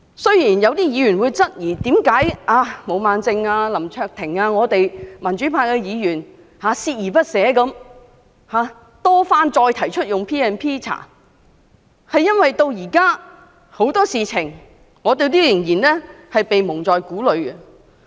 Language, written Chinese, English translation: Cantonese, 雖然有議員質疑為何毛孟靜議員、林卓廷議員和民主派議員鍥而不捨地多番提出引用 P&P 進行調查，但這是因為有很多事情我們至今仍然蒙在鼓裏。, While some Members queried why Ms Claudia MO Mr LAM Cheuk - ting and the pro - democracy Members had repeatedly proposed to invoke PP Ordinance to conduct an inquiry unwilling to let go I wish to say that it is because we are still kept in the dark over a number of issues even now